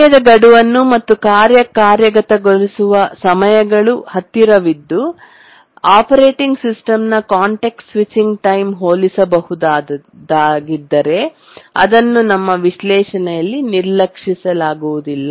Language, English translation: Kannada, So, when we are task deadlines and the task execution time so close, so comparable to the task, to the context switch times of the operating system, we cannot really ignore them in our analysis